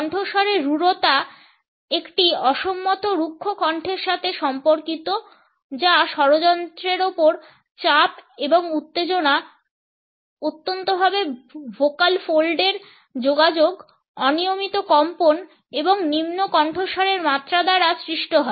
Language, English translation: Bengali, Harshness is related with a disagreeable rough voice it is caused by laryngeal strain and tension, extreme vocal fold contact, irregular vibration and low pitch